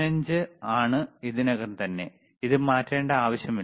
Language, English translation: Malayalam, 0 is already, there is no need to change it, no worries,